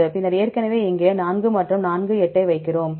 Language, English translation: Tamil, So, already here we put 4 and 4, 8